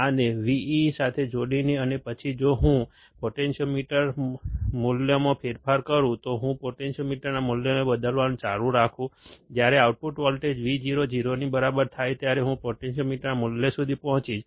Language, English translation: Gujarati, By connecting this to Vee and then if I change the potentiometer value, if I keep on changing the potentiometer value, I will reach a value of the potentiometer when the output voltage Vo equals to 0